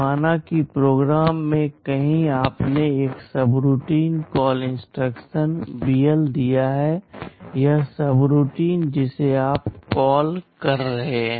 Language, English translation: Hindi, Suppose in a program somewhere you have given a subroutine call instruction BL and this is the subroutine you are calling